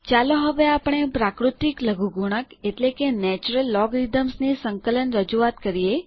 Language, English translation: Gujarati, Let us now write the integral representation of the natural logarithm